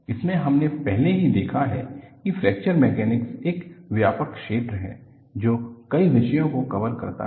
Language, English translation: Hindi, In this, we have already noticed that Fracture Mechanics is a broad area covering several disciplines